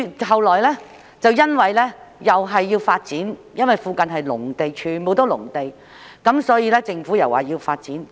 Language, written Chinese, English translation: Cantonese, 後來，因為那裏附近全部都是農地，所以政府又說要發展。, The squatter which was surrounded by farmland was later demolished by the Government for development again . Next we moved to a stone hut in Tai Hom Village